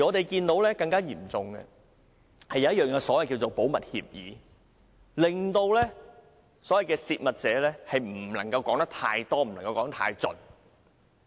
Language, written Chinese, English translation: Cantonese, 更嚴重的，是有一份所謂的"保密協議"，令"泄密者"不能夠說得太多、說得太盡。, More seriously there is the so - called confidentiality agreement which prevents a whistle - blower from exposing too much information